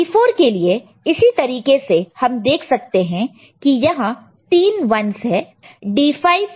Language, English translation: Hindi, P 4 similarly we can see here there are 3 1s